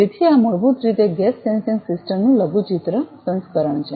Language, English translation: Gujarati, So, this is basically a miniature miniaturized version of gas sensing system